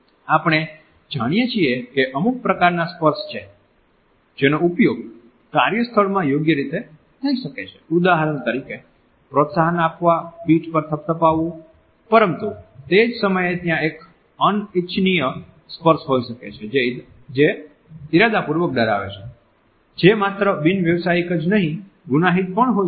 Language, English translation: Gujarati, We know that there are certain types of touches which can be used appropriately in the workplace, for example, an encouraging pat on the back a handshake but at the same time there may be an unwanted touch or a touch which is deliberately intimidating which is not only unprofessional, but can also be criminal